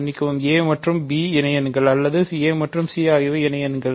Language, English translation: Tamil, Sorry a and b are associates or a and c are associates